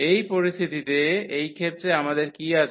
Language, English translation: Bengali, So, in this situation in this case what we have